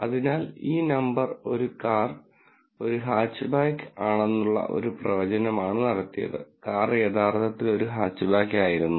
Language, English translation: Malayalam, So, this number basically is a prediction that a car is a Hatchback and this basically says, that car was truly a Hatchback